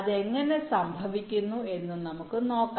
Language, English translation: Malayalam, lets see how it happens